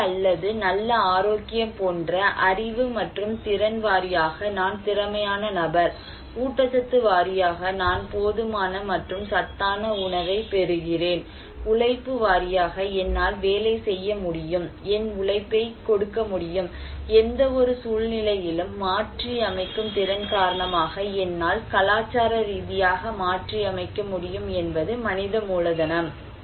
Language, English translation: Tamil, And human capital; knowledge and skill like education or good health I am capable person, nutrition I am getting enough food, nutritious food, ability to labor I can work, I can give my labor, capacity to adapt, in any situation, I can adapt culturally